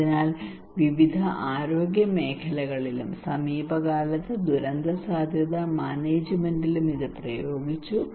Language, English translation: Malayalam, So it has been applied in various health sectors and also in recently in disaster risk management